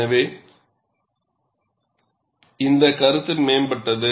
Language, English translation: Tamil, So, this concept was advanced